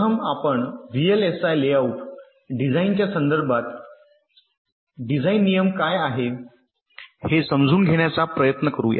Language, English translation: Marathi, ok, let us first try to understand what is a design rule in the context of vlsi layout design